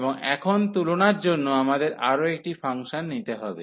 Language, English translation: Bengali, And now for the comparison we have to take another function